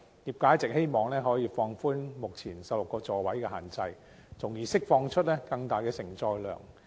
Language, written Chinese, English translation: Cantonese, 業界一直希望政府能夠放寬目前16個座位的限制，從而釋放出更大承載量。, The trade always hopes that the Government may relax the current 16 - seat restriction so that more carrying capacity can be released